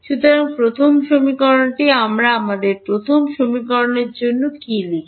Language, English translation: Bengali, So, the first equation what we write for our first equation